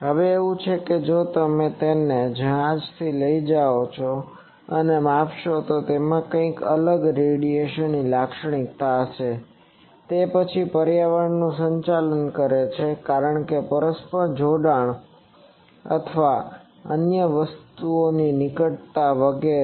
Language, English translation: Gujarati, Now it is if you take it from ship and measure it will have some different radiation characteristic, then in it is operating environment because, of mutual coupling and proximity of other things etc